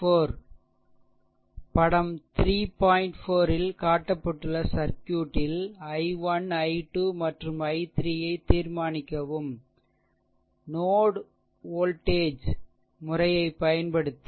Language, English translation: Tamil, So, determine i 1, i 2 and i 3 of the circuit as shown in figure 3 by using node voltage method, right